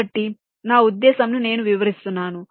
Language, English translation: Telugu, so what i mean i am just explaining